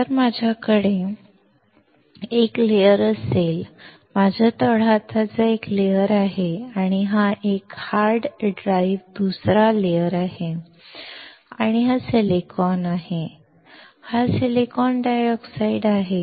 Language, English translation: Marathi, If I have a layer; my palm is one layer and this hard drive is another layer and this is silicon and this is silicon dioxide